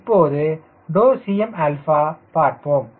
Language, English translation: Tamil, so cm will be zero